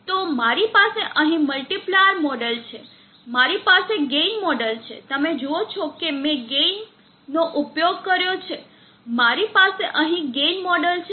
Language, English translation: Gujarati, So I have the multiplier model here, I have the gain model you see that I have use gain, I have the gain model here